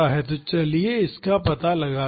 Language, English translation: Hindi, So, let us find this out